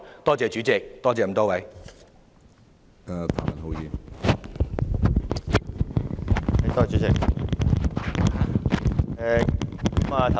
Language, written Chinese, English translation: Cantonese, 多謝主席，多謝各位議員。, Thank you President and Honourable Members